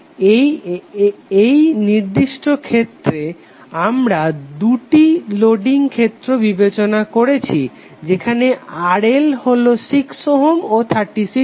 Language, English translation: Bengali, So for this particular case we are considering two different loading conditions where RL is 6 ohm and 36 ohm